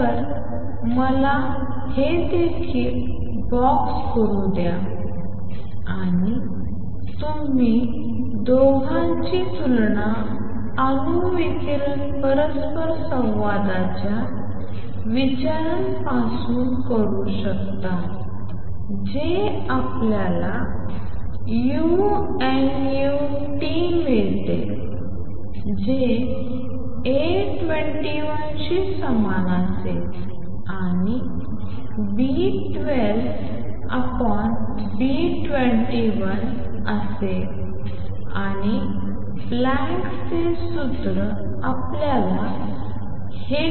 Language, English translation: Marathi, So, let me also box this and you compare the two from the considerations of atom radiation interaction we get u nu T is equal to A 21 divided by B 12 over B 2 1 E raise to delta E over k T minus 1 and Planck’s formula gives you u nu T is equal to 8 pi h nu cube over c cube 1 over E raise to h nu over k T minus 1